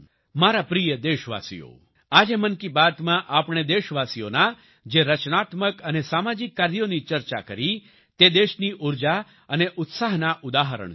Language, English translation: Gujarati, My dear countrymen, the creative and social endeavours of the countrymen that we discussed in today's 'Mann Ki Baat' are examples of the country's energy and enthusiasm